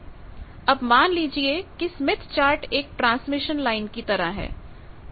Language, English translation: Hindi, Now think of that Smith Chart as a transmission line